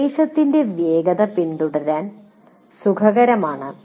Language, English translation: Malayalam, The pace of the instruction is comfortable to follow